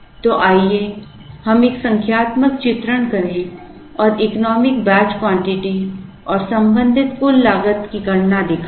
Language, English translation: Hindi, So, let us take a numerical illustration and show the computation of the economic batch quantity and the associated total cost